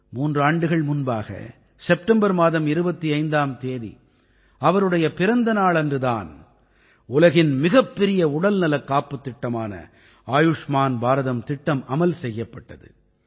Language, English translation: Tamil, Three years ago, on his birth anniversary, the 25th of September, the world's largest health assurance scheme Ayushman Bharat scheme was implemented